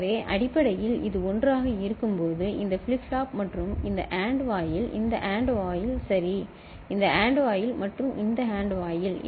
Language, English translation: Tamil, So, basically when it is 1; when it is 1 right so, then this flip flop this AND gate, this AND gate ok, this AND gate and this AND gate